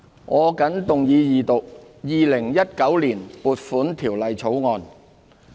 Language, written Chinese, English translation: Cantonese, 我謹動議二讀《2019年撥款條例草案》。, I move that the Appropriation Bill 2019 be read a Second time